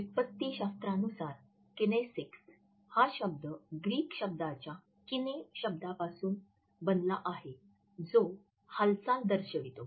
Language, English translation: Marathi, Etymologically, the word kinesics has been derived from a Greek word kines which denotes movement